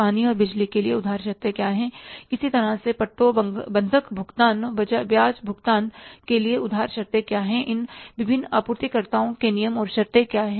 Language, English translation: Hindi, For the water and power, what are the credit terms, for similarly the leases, mortgage payments, interest payments, what are the terms and conditions of these different suppliers